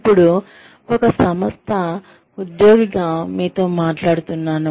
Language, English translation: Telugu, Now, I am talking to you, as an employee of an organization